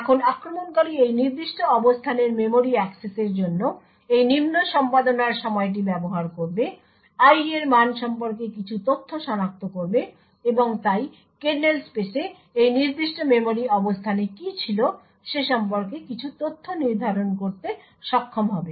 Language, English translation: Bengali, Now the attacker would use this lower execution time for memory access of this particular location, identify some information about the value of i and therefore be able to determine some information about what was present in this specific memory location in the kernel space